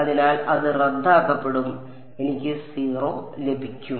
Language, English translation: Malayalam, So, it will cancel off I will get 0